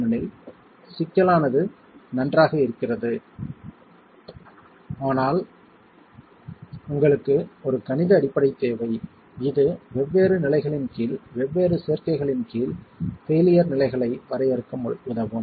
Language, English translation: Tamil, Because it's fine, the complexity is there, but you need a mathematical basis that can help us define failure states in under different combinations under different conditions